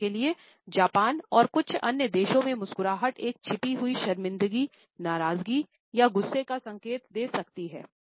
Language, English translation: Hindi, For example, in Japan as well as in certain other countries I smile can also indicate a concealed embarrassment, displeasure or even anger